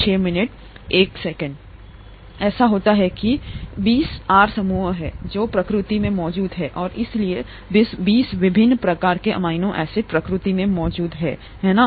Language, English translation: Hindi, It so happens that there are twenty R groups, that exist in nature and therefore there are 20 different types of amino acids that exist in nature, right